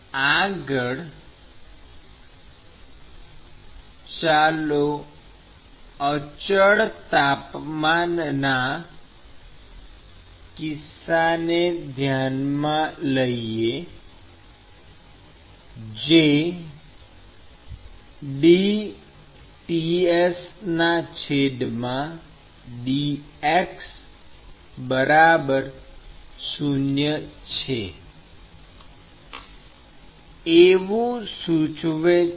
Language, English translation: Gujarati, So, this is for the constant temperature case, where dTs by dx is 0